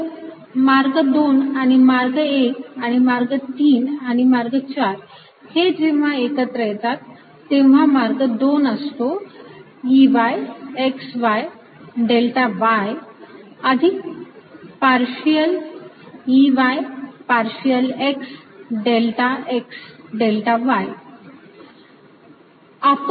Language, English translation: Marathi, so path two and path one and path three and path four when they are added together, path two was e, y, x, y, delta y, plus partial e, y, partial x, delta x, delta y